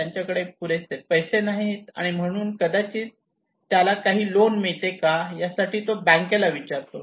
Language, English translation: Marathi, He does not have enough money maybe so he asked the bank that can I get some loan